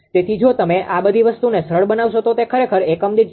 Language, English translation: Gujarati, ah So, if you simplify all this thing then it will become actually 0